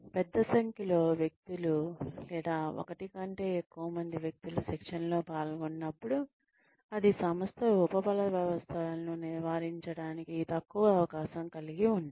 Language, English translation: Telugu, When large number of people, or more than one person, is involved, in undergoing training, then it becomes ; the organizations are less prone to avoiding reinforcement systems